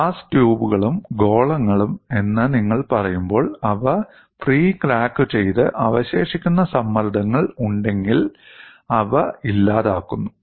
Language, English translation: Malayalam, When you say the glass tubes and spheres, they were pre cracked and then annealed to eliminate residual stresses, if any